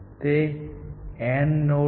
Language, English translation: Gujarati, This is an AND node